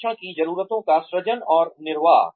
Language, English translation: Hindi, Creation and sustenance of training needs